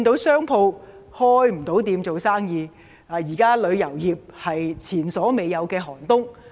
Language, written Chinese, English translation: Cantonese, 商鋪現時無法營業，而旅遊業更面對前所未有的"寒冬"。, At present shops are unable to do any business and the tourism industry is even facing an unprecedented freezing winter